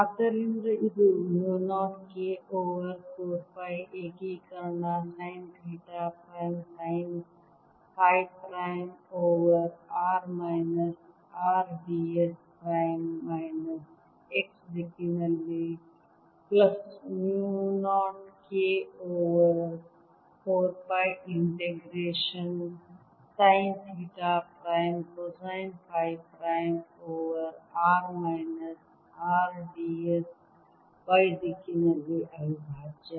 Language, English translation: Kannada, so this becomes equal to mu naught k over four pi integration sine theta prime, sine phi prime over r minus r d s prime in minus x direction plus mu naught k over four pi